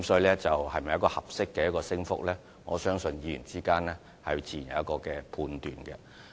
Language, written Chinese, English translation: Cantonese, 這是否一個合理的升幅，我相信議員之間自有判斷。, As to whether it is a reasonable increase I believe Members may make their own judgment